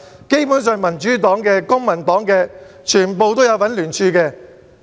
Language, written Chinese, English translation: Cantonese, 基本上民主黨和公民黨的全部成員也有聯署。, Basically all members of the Democratic Party and the Civic Party joined that signature campaign